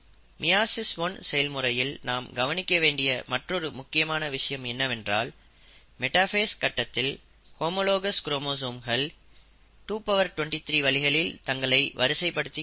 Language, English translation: Tamil, The other important thing to note is that in meiosis one, during the process of metaphase, there is various, 223 possibilities by which these homologous chromosomes can arrange themselves